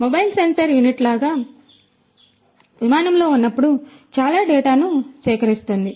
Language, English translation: Telugu, It is going to be like a mobile sensor unit, which is going to collect lot of data while it is in flight